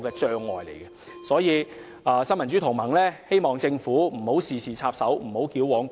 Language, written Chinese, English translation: Cantonese, 因此，新民主同盟希望政府不要事事插手，亦不要矯枉過正。, Therefore the Neo Democrats hopes that the Government can stop intervening in every matter and being overly stringent